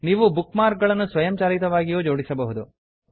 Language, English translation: Kannada, You can also sort bookmarks automatically